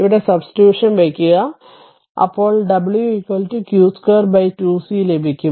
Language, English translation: Malayalam, And substitute here if you put it here, then you will get w is equal to q square by 2 c